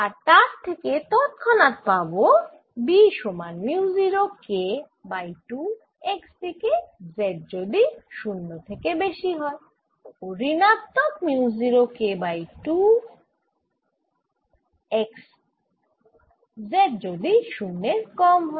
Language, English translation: Bengali, a takes mu zero and this immediately gives you b equals mu, zero, k over two, x for z greater than zero and is equal to minus mu, not k by two x form z less than zero